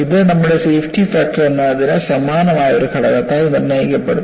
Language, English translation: Malayalam, And this is dictated by a factor that is similar to our safety factor